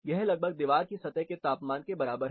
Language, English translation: Hindi, This is more or less equivalent to the surface temperature of a particular wall